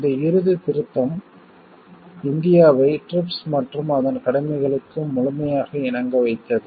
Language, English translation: Tamil, This final amendment brought India in full compliance with the TRIPS and its obligations